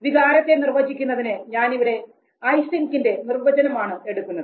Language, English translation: Malayalam, Just to define emotion I am taking this very definition given by Eysenck